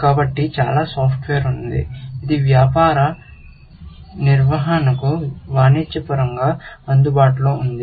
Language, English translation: Telugu, So, there is lots of software, which is commercially available for managing business